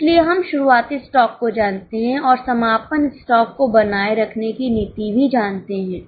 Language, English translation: Hindi, So, we know the opening stock and we also know the policy for maintaining the closing stock